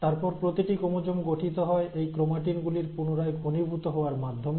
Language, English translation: Bengali, And then, each chromosome consists of a further condensation of this chromatin